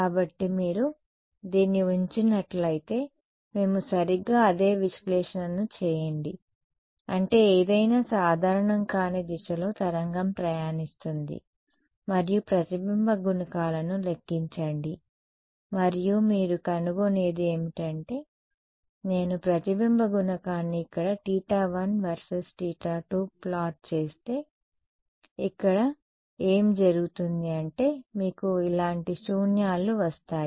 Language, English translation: Telugu, So, if you put this put your do the same analysis that we did right toward I mean wave travelling at some non normal direction and calculate the reflection coefficients what you will find is that if I plot the reflection coefficient over here versus theta 1 and theta 2 are over here what happens is that you get nulls like this ok